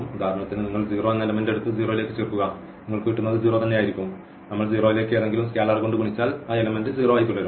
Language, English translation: Malayalam, For example, you take the element the 0 and add to the 0 you will get 0 and we multiply by any scalar to the 0 the element will remain as a 0